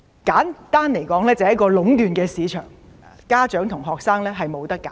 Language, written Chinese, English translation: Cantonese, 簡單來說，就是壟斷市場，家長和學生沒有選擇。, Simply speaking this model has monopolized the market leaving parents and students with no choice